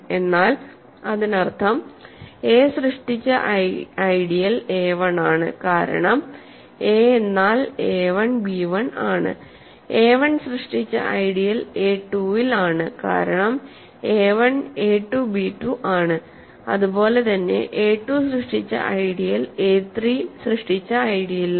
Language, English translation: Malayalam, But that means, the ideal generated by a is in the ideal generated by a1 right because a is a1 b1 ideal generated by a1 is in the ideal generated by a 2, because a1 is a 2 b 2, similarly the ideal generated by a 2 is in the ideal generated by a 3 and this continues forever, this does not stabilize